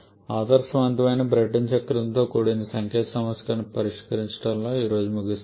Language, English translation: Telugu, Let us end up today by solving a numerical problem involving an ideal Brayton cycle